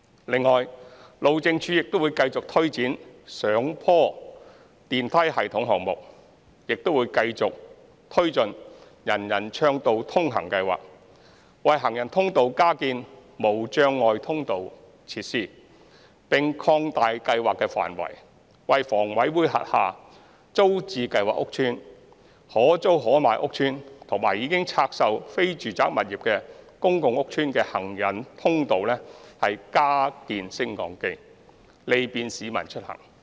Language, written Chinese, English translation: Cantonese, 另外，路政署會繼續推展上坡電梯系統項目，亦會繼續推進"人人暢道通行"計劃，為行人通道加建無障礙通道設施，並擴大計劃範圍，為房委會轄下"租置計劃"屋邨、"可租可買計劃"屋邨和已拆售非住宅物業的公共屋邨的行人通道加建升降機，利便市民出行。, Furthermore HyD will continue to take forward proposals for hillside escalator links and elevator systems while pressing ahead with the implementation of the Universal Accessibility UA Programme to retrofit barrier - free access facilities at walkways . The scope of the UA Programme has been expanded to retrofit lifts at walkways of HA estates including estates under the Tenants Purchase Scheme the Buy or Rent Option Scheme and public rental housing estates with non - residential properties divested in order to provide convenience for the citizens in commuting